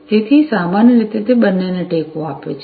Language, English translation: Gujarati, So, typically it will support both